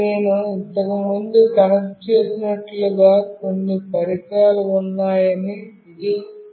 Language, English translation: Telugu, Now, it is showing that there are some devices, as I have already connected previously